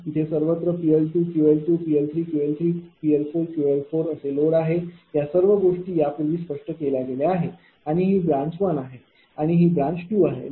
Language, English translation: Marathi, So, here everywhere load is there P L 2 Q L 2 P L 3 Q L 3 P L 4 all this things have been explained before, and this is the branch 1 and this is the branch 2